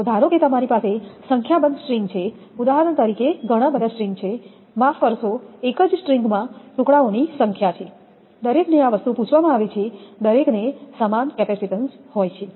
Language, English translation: Gujarati, So, you have suppose you have n number of strings, for example so many strings are there sorry n number of your pieces are there in a one string, each one we are asked this thing each one having equal capacitance